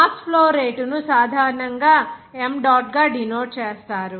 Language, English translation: Telugu, The mass flow rate is denoted by m dot generally